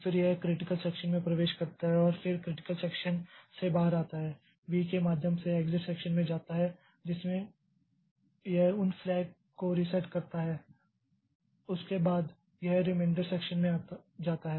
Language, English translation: Hindi, Then it enters into the critical section then it comes out of the critical section goes to the exit section by in which it does resetting of those flags and all and after that it goes to the remainder section